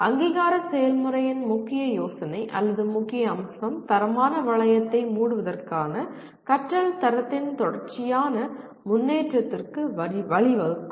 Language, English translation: Tamil, And the accreditation process, the core idea or core facet of that is closing the quality loop can lead to continuous improvement in the quality of learning